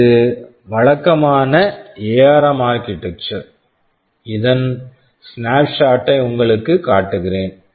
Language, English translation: Tamil, TSo, this is the typical ARM typical architecture, I just wanted to show you just a snapshot of it